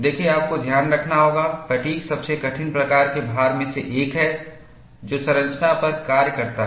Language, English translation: Hindi, See, you will have to keep in mind, fatigue is one of the most difficult type of loading that acts on the structure